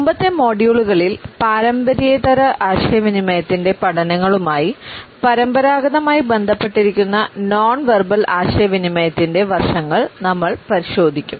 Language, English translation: Malayalam, In the previous modules, we have looked at those aspects of nonverbal communication which have been traditionally associated with its studies